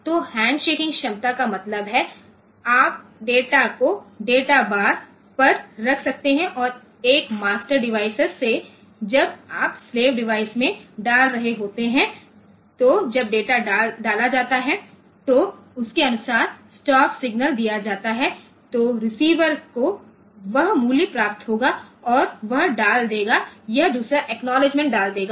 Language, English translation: Hindi, So, handshaking capability means, you can you can say, you can put the data on to the data bars and from one master device, when you are putting into slave device, then when the data is put accordingly the stop signal is given, then the receiver; it will receive that value and it will put, it will put another acknowledgement and all that